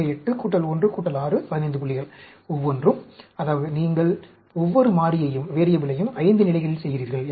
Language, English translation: Tamil, So, 8 plus 1 plus 6, 15 points, each, that means, you are doing each variable at 5 levels